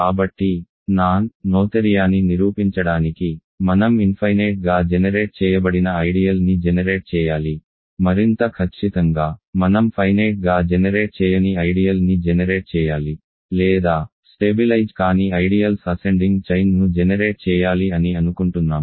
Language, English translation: Telugu, So, to prove non noetherianess, we either have to produce an infinitely generated ideal, more precisely we have to produce an ideal which is not finitely generated or we have to produce an ascending chain of ideals that does not stabilize so, we are going to do that